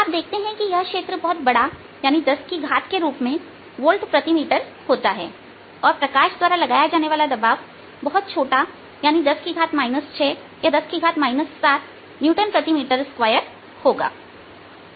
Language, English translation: Hindi, you see that field are quietly large of the order of ten volt per metre and pressure applied by light is very, very small, of the order of ten raise to minus six or ten raise to minus seven newton's per metres square